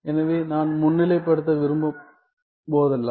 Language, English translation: Tamil, So, whenever I want to highlight